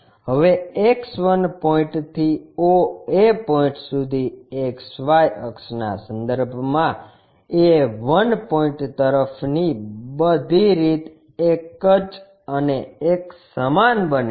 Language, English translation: Gujarati, Now, with respect to XY axis oa point from X 1 point all the way to a 1 point becomes one and the same